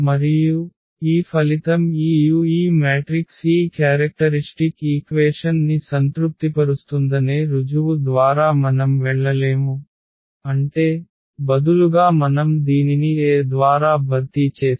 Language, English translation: Telugu, And, this result says which we will not go through the proof that this u this matrix itself will satisfy this characteristic equation; that means, if instead of the lambda if we replace this by A